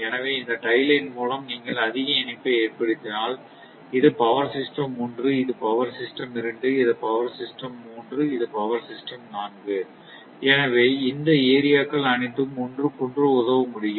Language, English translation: Tamil, So, if you make more connection by all this tie line, suppose this is power system one, this is power system two, this is power system three, this is power system four; so all these things can be connected together